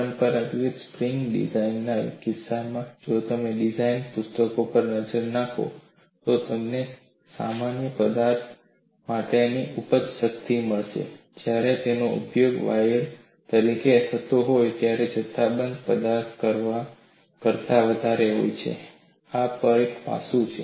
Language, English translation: Gujarati, See, there are two issues that we will have to look, at in the case of conventional spring design if you look at the design books, you will find the yield strength for the same material when it is used as a wire is much higher than a bulk material and this is one aspect